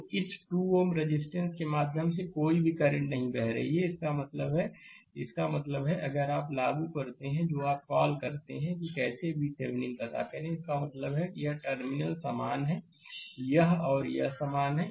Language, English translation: Hindi, So, no current no current is flowing through this 2 ohm resistance; that means, that means, if you apply your what you call how to find out V Thevenin; that means, this terminal is same; this and this is same right